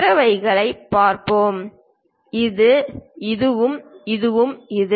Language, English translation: Tamil, Let us look at other ones, this to this and this to this